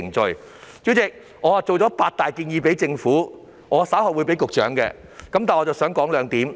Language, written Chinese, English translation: Cantonese, 代理主席，我預備了八大建議給政府，我稍後會把建議提交給局長。, Deputy President I have prepared eight major proposals for the Government . I will later submit my proposals to the Secretary